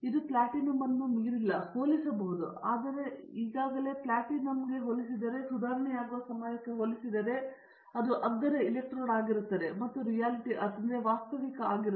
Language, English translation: Kannada, It can be comparable, not exceeding the platinum, but it is already comparable with platinum today with respect to time it will be improved, then it will be cheaper electrode and it will become a reality